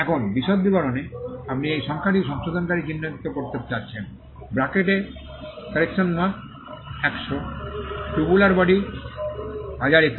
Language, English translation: Bengali, find these numbers correction marker in bracket 100, correction mark and 100, tubular body 102